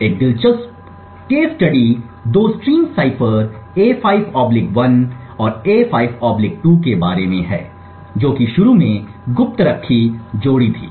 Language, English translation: Hindi, An interesting case study is about the two stream ciphers A5/1 and A5/2 which pair initially kept secret